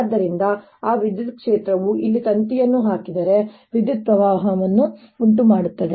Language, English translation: Kannada, that electric field therefore gives rise to a current if i put a wire here and i should see the effect of that current